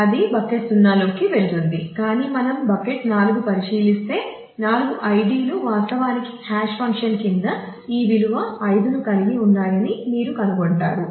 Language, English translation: Telugu, So, it goes into bucket 0 it happens that way if, but if we look into bucket 4 you will find that the 4 IDs actually all have this value 5 under the hash function